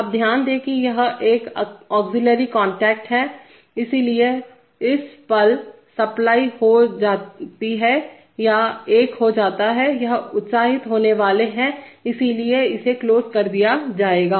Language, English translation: Hindi, Now note that this is an auxiliary contact, so the moment this gets supply or becomes 1, this is going to be excited so this will be closed